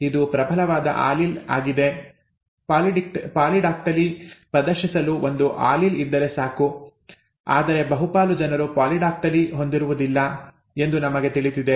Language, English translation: Kannada, It is the dominant allele, one allele being present is sufficient to exhibit polydactyly, but we know that a majority are not polydactyl, right